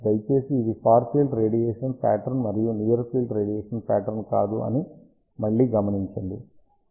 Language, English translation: Telugu, ah Please again note down that these are far field radiation pattern, and not near field radiation pattern ok